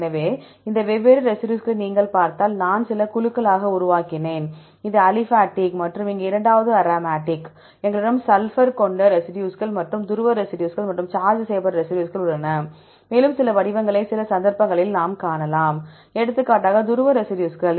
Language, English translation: Tamil, So, if you look into these different residues, I made in few groups, this is the aliphatic and the second one aromatic here, we have sulfur containing residues and polar residues and charged residues and we could see some patterns, some cases you can see pattern for example, polar residues